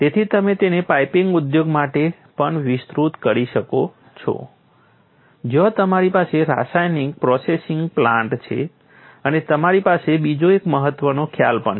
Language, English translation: Gujarati, So, you can also extend it for piping industry where you have chemical processing plants and so on and so forth